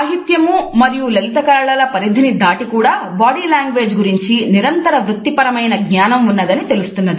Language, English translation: Telugu, Even outside the domains of literature and fine arts we find that there has been a continuous professional awareness of body language